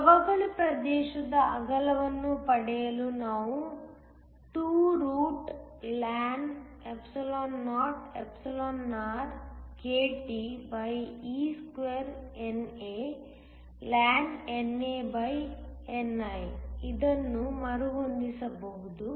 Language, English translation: Kannada, We can rearrange this to get the width of a depletion region that is just 2orkTe2NAln NAni